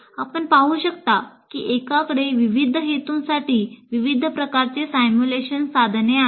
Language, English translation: Marathi, So as you can see, one can have a very large variety of simulation tools for different purposes